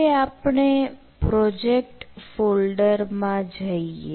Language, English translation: Gujarati, now we need to go to that project folder